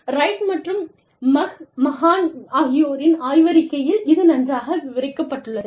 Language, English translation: Tamil, It is described, very well in this paper, by Wright and McMahan